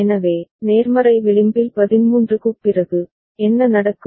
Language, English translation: Tamil, So, after 13 at the positive edge, what will happen